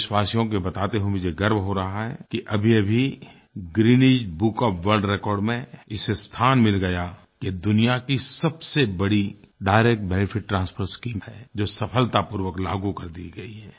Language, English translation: Hindi, I am happy to share with the countrymen that this scheme has earned a place in Guinness Book of World Records as the largest Direct Benefit Transfer Scheme which has been implemented successfully